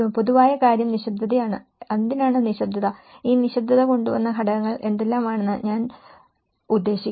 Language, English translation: Malayalam, The common thing is the silence and why the silence is all about; I mean what are the factors that brought this silence